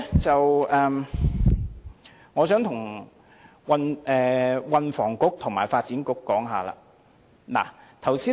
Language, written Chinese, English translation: Cantonese, 此外，我想跟運輸及房屋局和發展局談一談。, Besides I would like to discuss with the Transport and Housing Bureau and the Development Bureau